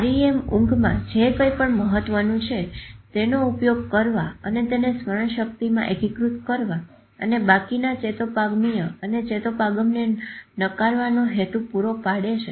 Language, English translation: Gujarati, REM sleep serves the purpose of using whatever is important and consolidating it in the memory and rejecting the rest of the synaptic synapsis